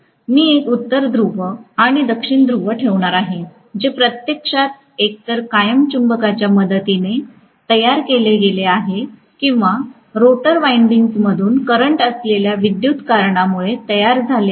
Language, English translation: Marathi, I am going to have a North Pole and South Pole which is actually created either with the help of the permanent magnet or because of the current flowing through the rotor windings